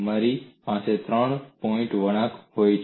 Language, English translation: Gujarati, You may have a three point bend